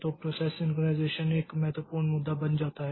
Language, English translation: Hindi, So, the process synchronization becomes an important issue